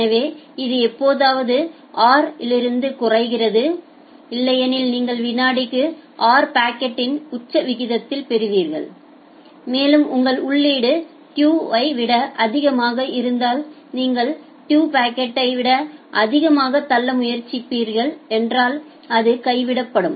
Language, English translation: Tamil, So, it sometime drop from r otherwise you will get at a peak rate of r packet per second and if your input gets more than tau if you are trying to push more than tau packets, then it will get dropped